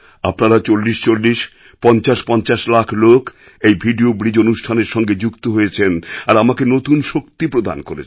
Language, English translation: Bengali, 4050 lakh people participated in this video bridge program and imparted me with a new strength